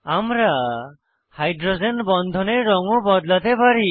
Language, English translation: Bengali, We can also change the color of hydrogen bonds